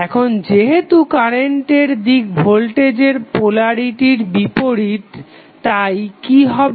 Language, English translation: Bengali, Now, since the direction of current is opposite of the polarity of the voltage so what will happen